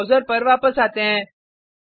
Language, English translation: Hindi, Let us come back to the browser